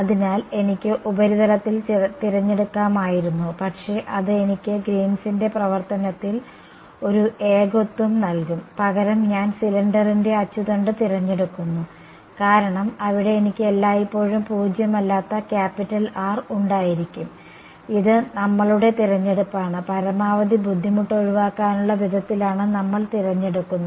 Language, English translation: Malayalam, So, I could have chosen on the surface, but that would I given me a singularity in Green’s function, I choose instead the axis of the cylinder because there I will always a have non zero capital R; it is our choice and we choose it in a way that we get to avoid maximum pain fine ok